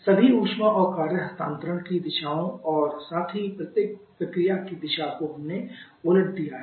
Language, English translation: Hindi, Directions of all heat and work transfer and also the direction of each of the processes we have just reversed in